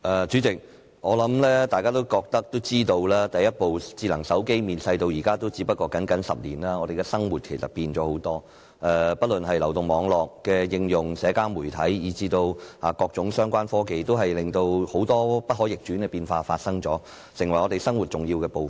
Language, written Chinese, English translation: Cantonese, 主席，我想大家都知道，第一部智能手機面世至今只是僅僅10年，我們的生活改變了很多，不論是流動網絡的應用、社交媒體以至各種相關科技，均帶來了很多不可逆轉的變化，成為我們生活的重要部分。, President I think we all know that the first smartphone only appeared some 10 years ago yet our lives have changed a lot . The application of mobile networks social media and various related technologies have brought about a lot of irreversible changes and have become an important part of our life